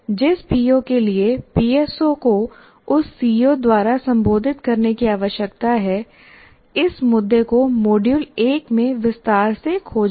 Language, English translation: Hindi, This issue of which PO, which PSO need to be addressed by that CO, we all explored this in detail in the module 1